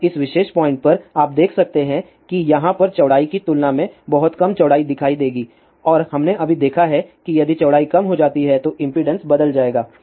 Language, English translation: Hindi, Now, at this particular point, you can see that it will see a much smaller width compare to this width over here and we have just seen that if width is decrease impedance will change